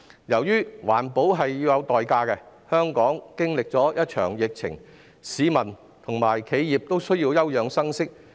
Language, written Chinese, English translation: Cantonese, 由於環保是有代價的，香港經歷了一場疫情，市民及企業都需要休養生息。, As environmental protection comes at a price after Hong Kong has experienced a pandemic both people and enterprises need a respite